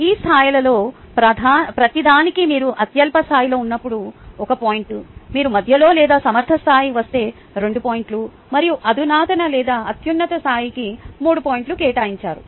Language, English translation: Telugu, for each of these levels they have assigned one point four, when you are on the lowest level, two points if you get in the middle or the competent level, and three points for the sophisticated or the highest level